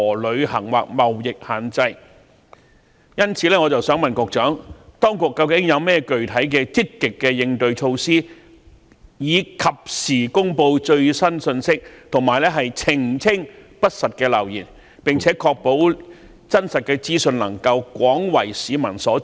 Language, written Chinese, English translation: Cantonese, 因此，請問局長，當局有甚麼具體的積極應對措施，藉以及時公布最新信息，以及澄清不實流言，並且確保真實資訊能夠廣為市民所知呢？, Therefore may I ask the Secretary what specific and proactive countermeasures do the authorities have in place to disseminate the latest information in a timely manner to clarify rumours spreading false information and to ensure that true information is widely known to the public?